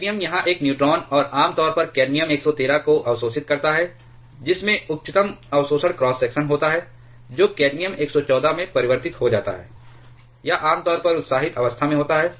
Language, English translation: Hindi, Cadmium it also absorbs a neutron and generally cadmium 113 which has the highest absorption cross section that gets converted to cadmium 114, it is generally at the excited state